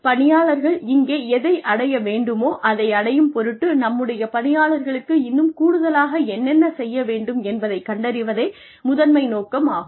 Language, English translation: Tamil, The primary motive is to find out, what more do our employees need, in order to achieve, what they are here to achieve